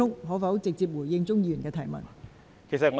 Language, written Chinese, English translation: Cantonese, 可否直接回答鍾議員的問題？, Can you answer Mr CHUNGs question directly?